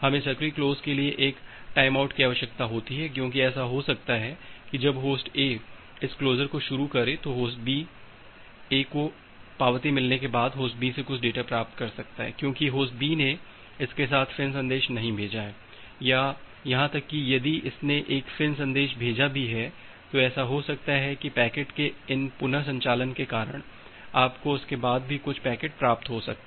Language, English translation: Hindi, We require this timeout for active close because it may happen that when Host A is initiated this closure, Host A after getting the acknowledgement Host A can still receive some data from Host B because, Host B has not sent any FIN message with it or even if it has sent a FIN message it may happen that because of these reordering of the packet you may receive certain packets after that